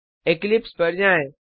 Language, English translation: Hindi, Switch to Eclipse